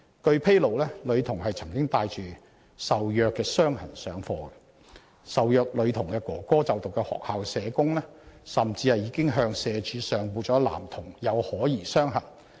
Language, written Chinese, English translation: Cantonese, 據披露，女童曾帶着受虐傷痕上課，而受虐女童哥哥就讀的學校社工甚至已向社會福利署上報了男童有可疑傷痕。, It is reported that the girl had attended school with visible injuries and the social worker of the school which the brother of the girl being abused attended had even reported suspicious visible injuries of the boy to the Social Welfare Department SWD